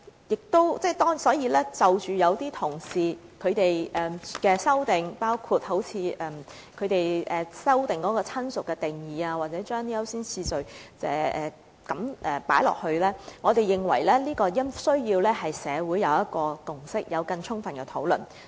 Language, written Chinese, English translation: Cantonese, 關於議員同事的修正案，包括他們對"親屬"定義的修訂，或在條文中加入優先次序等，我們認為這方面需要取得社會共識，並進行更充分的討論。, In respect of our colleagues amendments including their revision to the definition of relative or prescribing the priority of claimants in the provisions and so on we think that social consensus must be obtained and the matter should be thoroughly discussed